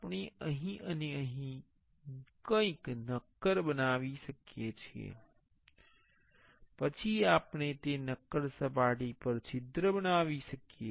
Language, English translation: Gujarati, We can make something solid here and here, then we can make a hole on that solid surface